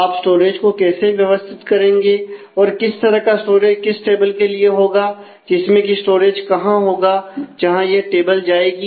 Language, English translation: Hindi, How will you organize the storage, where is that storage will go to this particular table